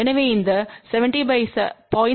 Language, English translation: Tamil, So, by using this 70